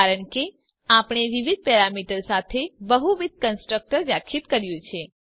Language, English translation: Gujarati, This is simply because we have define multiple constructor with different parameters